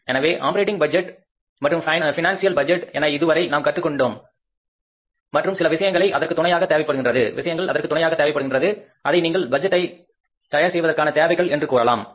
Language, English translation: Tamil, So, operating budget and financial budgets we learned till now and certain more things which are supportive means you can call it as a requirements of preparing the budgets